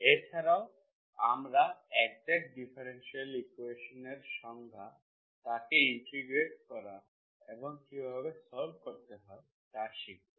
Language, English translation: Bengali, Also further we define what is exact differential equation and we will learn how to solve, how to integrate them